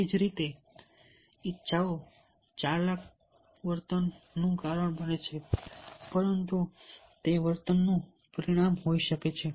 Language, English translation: Gujarati, similarly, and the desires and drive cause behavior, but that, that but that may be the result of the behavior